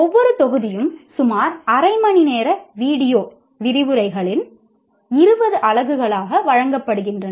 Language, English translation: Tamil, Each module is offered as 20 units of about half hour video lectures